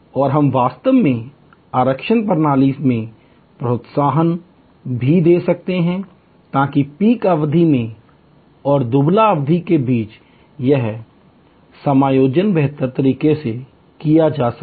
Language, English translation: Hindi, And we can also actually give incentives in the reservation system, so that this adjustment between the peak period and the lean period can be done better